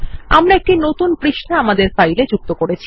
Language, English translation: Bengali, This will add a new page to our file